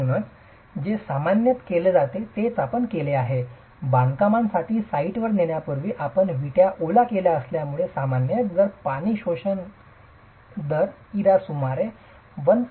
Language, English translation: Marathi, So, what is typically done is you, this is the reason why you wet bricks before you take it to the site for construction and typically if the water absorption rate IRA is about 1